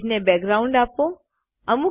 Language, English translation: Gujarati, Give a background to the page